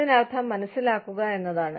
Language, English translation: Malayalam, Which means, to understand